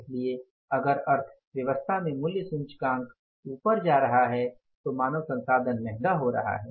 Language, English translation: Hindi, So, if the price index is going up in the economy, the human beings or the human resources are becoming costlier